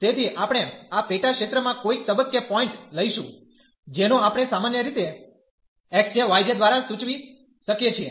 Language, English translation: Gujarati, So, we will take a point in this sub region at some point we will take which we can denote by usually x j, y j